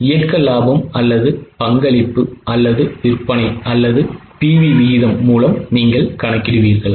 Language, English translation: Tamil, Will you go by operating profit or contribution or sales or PV ratio